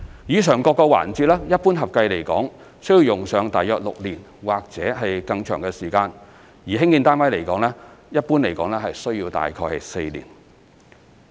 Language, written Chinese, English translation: Cantonese, 以上各個環節一般合共需用上約6年或以上的時間，而興建單位一般大約需要4年。, The above will normally take a total of around six years or more while the building of flats requires around four years in general